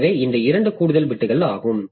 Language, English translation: Tamil, So, this 2 bits of extra for that